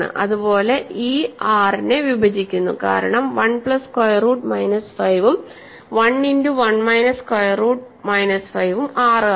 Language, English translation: Malayalam, Similarly, e divides 6 because 1 plus square root minus 5 and 1 times 1 minus square root minus 5 is 6